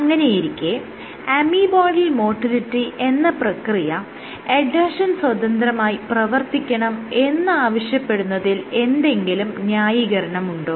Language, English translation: Malayalam, So, is there any justification for saying that amoeboidal motility must exhibit adhesion independent migration